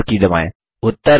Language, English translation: Hindi, And press the Enter key